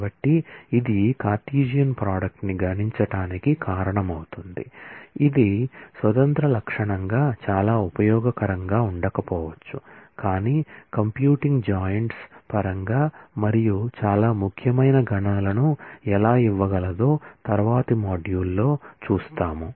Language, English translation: Telugu, So, this will cause the Cartesian product to be computed which may not be very useful as a an independent feature, but we will see in the next module how it can give very important computations, in terms of computing joints and so on